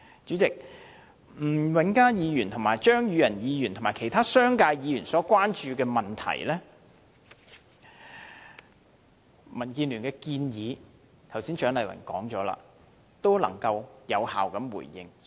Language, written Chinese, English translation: Cantonese, 主席，關於吳永嘉議員、張宇人議員及其他商界議員所關注的問題，蔣麗芸議員剛才已經有效地回應，並且表達了民建聯的建議。, President regarding the issue of concern to Mr Jimmy NG Mr Tommy CHEUNG and other Members representing the business sector Dr CHIANG Lai - wan has given an effective response and DABs suggestions